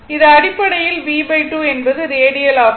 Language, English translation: Tamil, So, it is basically b by 2 is the radius